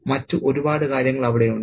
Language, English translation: Malayalam, There are a lot of other things into play there